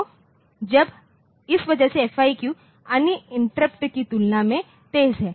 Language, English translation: Hindi, So, because of that the FIQ is faster than other interrupts